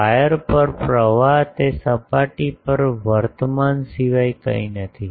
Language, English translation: Gujarati, Current on the wire is nothing but current on that surface